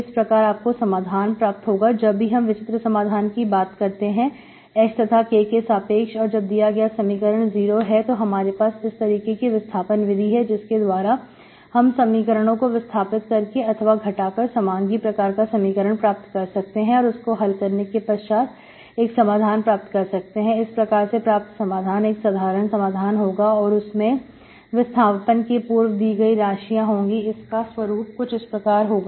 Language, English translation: Hindi, So this is how you get the solution, whenever you have a unique solution H, K, so that this equation is 0 and this equation is 0, so you can have this transformation, that reduces the given equations into this homogeneous type that can be solved this to get this solution, general solution which in the old variables is this